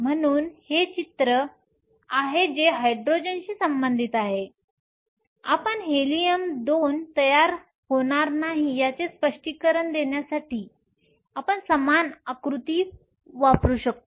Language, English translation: Marathi, So, this is the picture as far as Hydrogen is concern right we can use the same diagram to explain while Helium 2 will not form